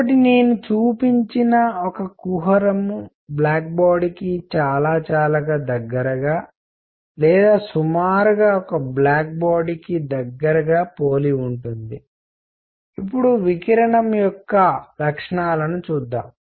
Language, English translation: Telugu, So, a cavity like the one that I have shown is something which is very very close to black body or roughly a black body; now properties of radiation